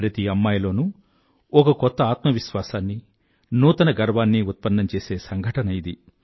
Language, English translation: Telugu, It became an incident to create a new selfconfidence and a feeling of self pride in every daughter